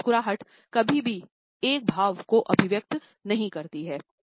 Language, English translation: Hindi, A smile is never expressive of a single emotion